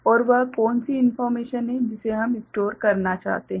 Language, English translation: Hindi, And what is the information that we want to store